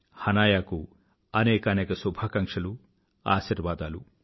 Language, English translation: Telugu, Best wishes and blessings to Hanaya